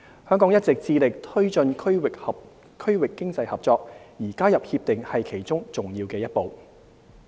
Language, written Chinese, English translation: Cantonese, 香港一直致力推進區域經濟合作，而加入《協定》是其中重要一步。, Hong Kong has been a staunch supporter of regional cooperation and our joining RCEP is a big step in our efforts